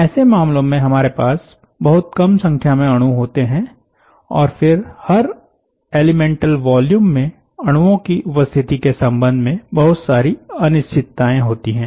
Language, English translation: Hindi, in such cases you have very, very few numbers of molecules, and then there are lots of uncertainties with respect to presence of molecules in individual elemental volumes